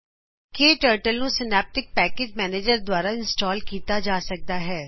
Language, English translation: Punjabi, We can install KTurtle using Synaptic Package Manager